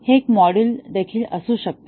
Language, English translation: Marathi, It can be a module also